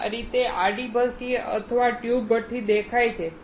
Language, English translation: Gujarati, This is how horizontal furnace or tube furnace look like